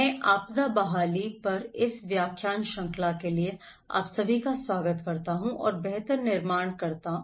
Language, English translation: Hindi, I welcome you all to this lecture series on disaster recovery and build back better